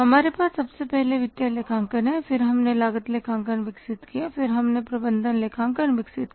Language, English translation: Hindi, We have first of all financial accounting then we develop the cost accounting and then we develop the management accounting